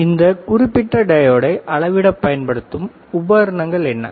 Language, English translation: Tamil, So, what is equipment to measure this particular diode